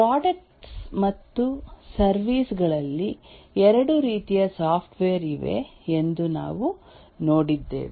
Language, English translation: Kannada, We have seen that there are two types of software, the products and the services